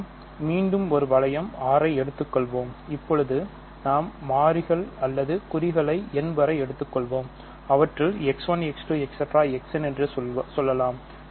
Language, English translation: Tamil, So, we will again fix a ring R and now we fix variables or symbols let us say n of them X 1, X 2 X n and we want to consider R square bracket X 1 up to X n